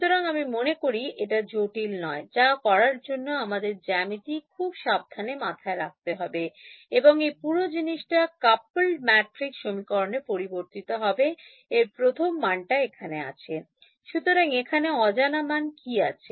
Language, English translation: Bengali, So, I mean it is not complicated, it is have to keep geometry very carefully in mind and this whole thing over here will boil down to a coupled matrix equation this first term over; so, what is the unknown over here